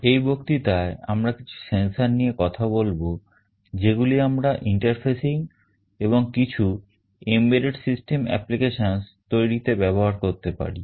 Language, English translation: Bengali, We shall be talking about some of the sensors that we can use for interfacing and for building some embedded system applications in this lecture